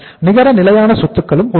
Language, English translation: Tamil, Then we talk about the net fixed assets